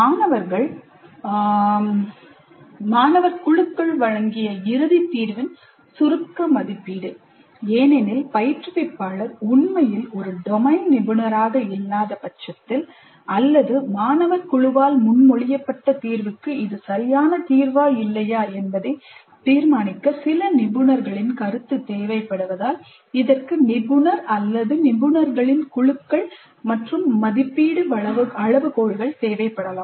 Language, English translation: Tamil, Summative assessment of the final solution presented by the student teams because the instructor may not be really a domain expert or because the solution proposed by the student team requires certain expert opinion to judge whether it is a valid solution or not